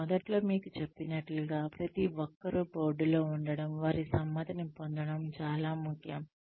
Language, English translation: Telugu, Like I told you in the beginning, it is very important, to have everybody on board, get their consent